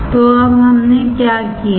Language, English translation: Hindi, So now, what we have done